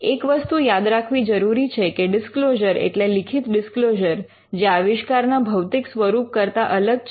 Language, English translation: Gujarati, A disclosure you have to bear in mind, is a written disclosure which is different from the physical embodiment of the invention itself